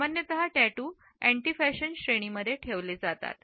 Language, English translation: Marathi, Tattoos are normally put in this category of anti fashion